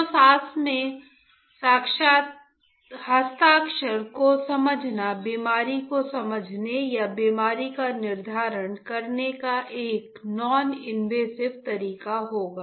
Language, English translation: Hindi, So, understanding the breath signature will be a noninvasive way of understanding the disease or determining the disease